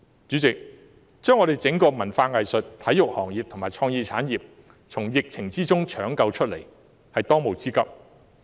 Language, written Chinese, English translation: Cantonese, 主席，把整個文化、藝術及體育行業和創意產業從疫情中搶救出來，是政府的當務之急。, President the top priority of the Government is to save the entire cultural arts and sports sectors and the creative industry amid the epidemic . Meanwhile the Government cannot merely think of the present in financial management